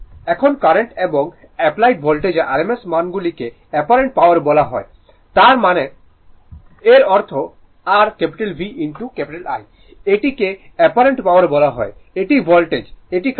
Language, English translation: Bengali, Now, product of rms values of current and applied voltage is called apparent power; that means, that means your V into I is called apparent power right this is voltage this is current